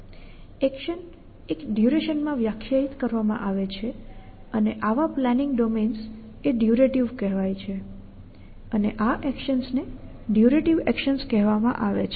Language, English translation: Gujarati, So, the action is define over a duration and such search planning domains a called durative such actions a called durative actions